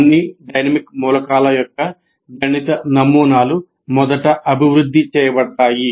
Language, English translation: Telugu, And mathematical models of all the dynamic elements are developed first